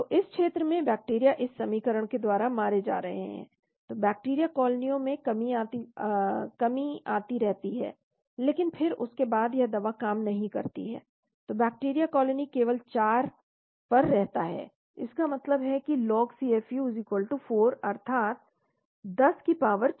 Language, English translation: Hindi, So in this region bacteria is getting killed in this equation, so the bacterial colonies keep going down, but then after that the drug does not act so the bacterial colony remains at 4 only, that means log CFU=4 that is 10 power 4